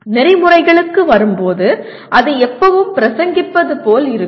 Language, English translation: Tamil, Well, it comes to ethics, it will always looks like sermonizing